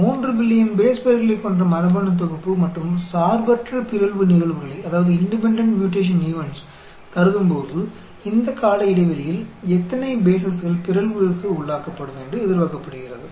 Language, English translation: Tamil, Assuming a genome of 3 billion base pairs and independent mutation events, how many bases are expected to be mutated over this time span